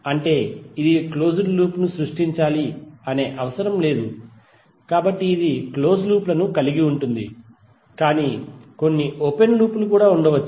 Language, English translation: Telugu, That means that it is not necessary that it will create a close loop, So it can have the close loops but there may be some open loops also